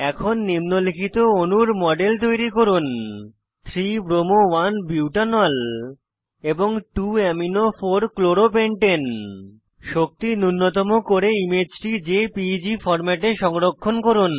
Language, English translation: Bengali, * Create models of the following molecules.3 bromo 1 butanol and 2 amino 4 chloro pentane * Do energy minimization and save the image in JPEG format